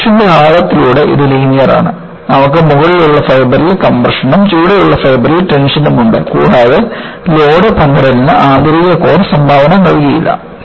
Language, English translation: Malayalam, Over the depth of the cross section, it is linear, you have compression on the top fiber and tension in the bottom fiber and the inner core, does not contribute to load sharing